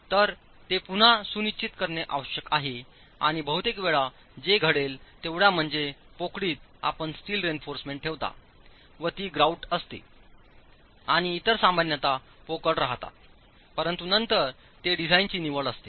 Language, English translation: Marathi, So, this again needs to be ensured and most often what would happen is only the cavities where you place steel reinforcement, it's grouted and the others are typically left hollow but then that's again a design choice